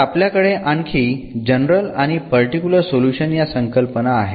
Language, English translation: Marathi, So, we have the other concept of the general and the particular solution